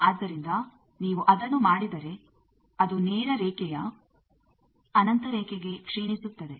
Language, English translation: Kannada, So, you see if you do that actually degenerates to a straight line infinite line